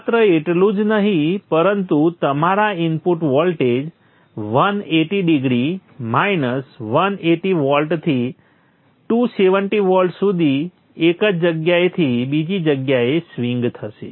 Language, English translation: Gujarati, Your input voltage will swing from place to place from 180 degrees to 180 volts to 270 volts